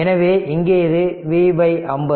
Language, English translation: Tamil, So, here it is V by 50